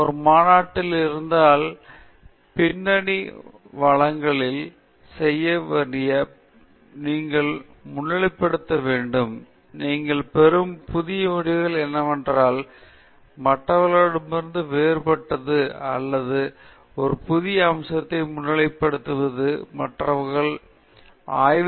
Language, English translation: Tamil, If it is a conference, again you have to highlight after doing some bit of background presentation, you have to highlight what are the new results that you have got which are, may be, different from what other people have obtained or highlight a new aspect of that area of work which other people have not explored; so that’s something that you need to highlight